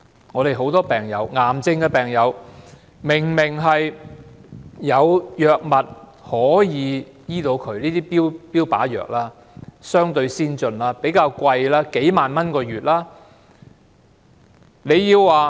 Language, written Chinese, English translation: Cantonese, 我們有很多癌症病友，明明有可以醫治他們的藥物，這些標靶藥相對先進，但比較昂貴，每月要花數萬元。, We all know that many cancer patients can in fact be effectively treated with the prescription of some targeted therapy drugs which are relatively advanced and expensive costing several tens of thousands of dollars every month